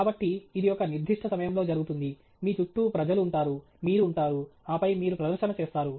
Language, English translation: Telugu, So, it happens at a certain instant of time, there are people around you, you are present, and then, you make the presentation